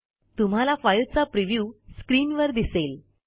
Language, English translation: Marathi, You see that the preview of the file on the screen